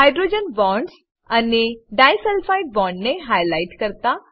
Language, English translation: Gujarati, * Highlight hydrogen bonds and disulfide bonds